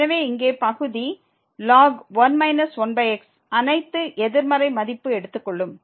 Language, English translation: Tamil, So, here in the denominator minus 1 over are taking all negative value